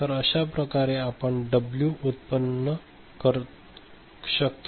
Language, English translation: Marathi, So, this is the way we can generate W